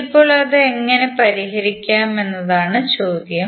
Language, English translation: Malayalam, Now, the question is that how to solve it